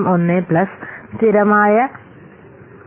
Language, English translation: Malayalam, 01 plus a constant 0